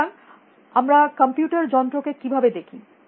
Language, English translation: Bengali, So, how do we see a machine computer